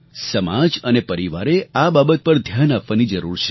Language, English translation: Gujarati, Society and the family need to pay attention towards this crisis